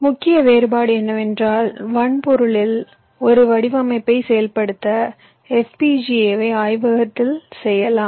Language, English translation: Tamil, the main difference is that to implement a design on the hardware for fpga, ah, you can do it in your lab